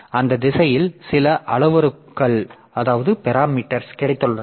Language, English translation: Tamil, So, we have got certain parameters in that direction